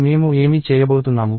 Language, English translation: Telugu, And what am I going to do